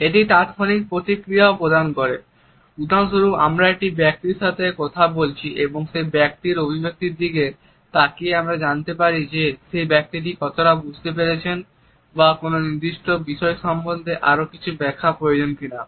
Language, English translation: Bengali, It also provides the immediate feedback, for example, we are talking to a person and then looking at the expressions of that individual we can make out how much has been internalized by that person or whether some more clarifications are required about a particular aspect